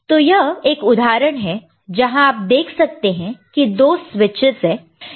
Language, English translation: Hindi, So, this is an example, where you see, there are 2 switches